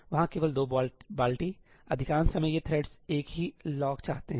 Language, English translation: Hindi, There only 2 buckets; most of the time these threads are wanting the same lock